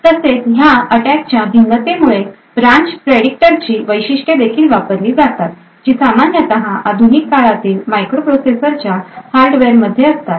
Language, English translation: Marathi, Also, a variance of these attacks also use the features of the branch predictor which is a common hardware in many of these modern day microprocessors